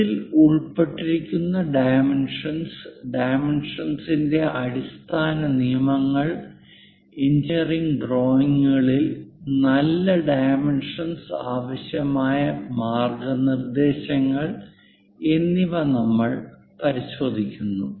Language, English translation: Malayalam, In this, we look at what are the dimensions involved, fundamental rules of dimensioning, guidelines required for good dimensioning in engineering drawings